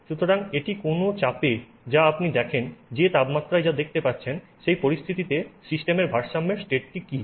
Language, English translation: Bengali, So, whatever pressure it is going to see, whatever temperature it is going to see, under those conditions, what is the equilibrium state of the system